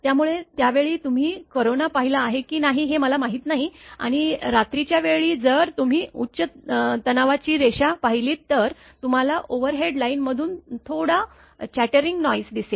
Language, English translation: Marathi, So, at that time I do not know whether you have observed corona or not particularly in the rainy season if you will and in the night time if you observe a high tension line you will find some chattering noise comes from the overhead line